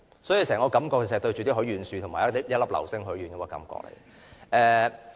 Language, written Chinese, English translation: Cantonese, 所以，整個感覺像是對着許願樹和一顆流星許願。, Hence the entire motion gives us the feeling that we are actually wishing upon a wishing tree or a meteor